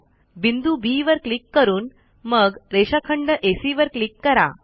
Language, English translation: Marathi, Click on the point B and then on segment AC